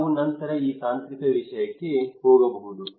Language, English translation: Kannada, We can go for this technological matter in later on